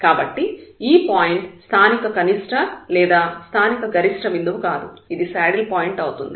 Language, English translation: Telugu, So, this point is a point of it is not a point of local x, local minimum or it is not a point of local maximum, but it is a saddle point